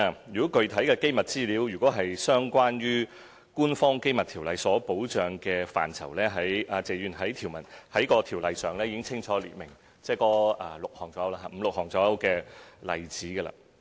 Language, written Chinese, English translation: Cantonese, 如果具體的機密資料是關乎《條例》所保障的範疇，謝議員，該條例已清楚列明，約有五六項例子。, If the specific confidential information is covered by the Ordinance Mr TSE the Ordinance has expressly listed five or six examples